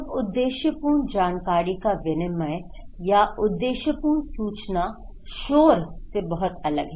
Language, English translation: Hindi, Now, purposeful exchange of informations or purposeful informations, they are very different from the noise